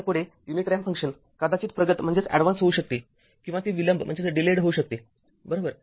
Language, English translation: Marathi, So, next, the unit ramp function may be advanced or delayed right